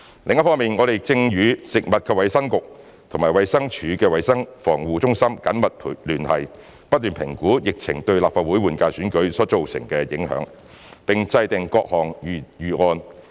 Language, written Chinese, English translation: Cantonese, 另一方面，我們正與食衞局和衞生署的衞生防護中心緊密聯繫，不斷評估疫情對立法會換屆選舉所造成的影響，並制訂各種預案。, In addition we will closely keep in touch with FHB and the Centre for Health Protection of the Department of Health to continuously assess the impact of the epidemic on the Legislative Council General Election to formulate various plans